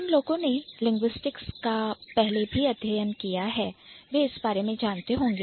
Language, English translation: Hindi, So, those who have studied linguistics before, you might be aware about it